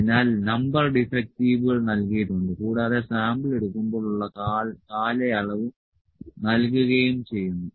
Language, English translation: Malayalam, So, number defectives are given and the period is given when he took the sample